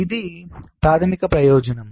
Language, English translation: Telugu, so this is the basic purpose